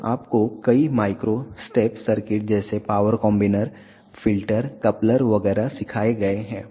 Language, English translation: Hindi, So, you have been taught many micro step circuits like power combiner, filter, coupler etcetera